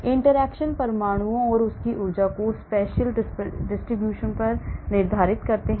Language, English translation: Hindi, Interactions determine the spacial distribution of atoms and their energy